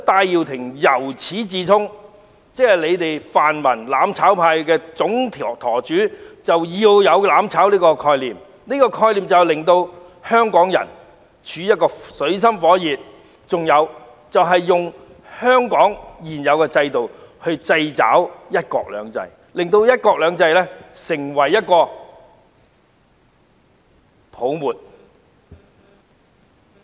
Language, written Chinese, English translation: Cantonese, 因此，泛民"攬炒派"的總舵主戴耀廷由始至終也抱有"攬炒"的概念，要令香港人處於水深火熱之中，並透過香港的現有制度掣肘"一國兩制"，令"一國兩制"成為泡沫。, Hence Benny TAI Great Helmsman of the pan - democratic mutual destruction camp has all along been embracing the concept of burning together leaving Hong Kong people in dire straits restricting one country two systems with the current system of Hong Kong and making one country two systems vanish into thin air